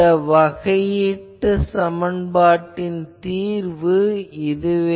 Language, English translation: Tamil, So, we will have to solve this equation